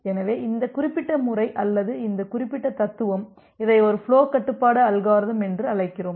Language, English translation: Tamil, So, this particular methodology or this particular philosophy, we call it as a flow control algorithm